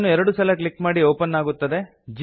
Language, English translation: Kannada, Double click on it and open it